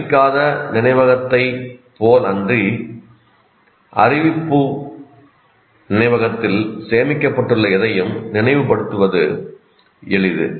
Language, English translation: Tamil, So, whereas unlike non declarative memory, the declarative memory, it is easy to recall the whatever that is stored in the declarative memory